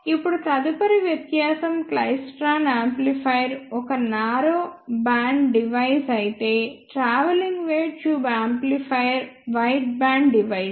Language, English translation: Telugu, Now, the next difference is the klystron amplifier is a narrow band device whereas, travelling wave tube amplifier is a wideband device